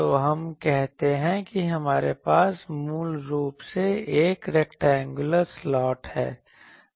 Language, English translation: Hindi, So, let us say that we have a rectangular slot basically